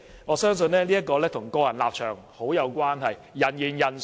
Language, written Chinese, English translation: Cantonese, 我相信這與個人立場很有關係，人言人殊。, I think it will depend on your stance as different people interpret things differently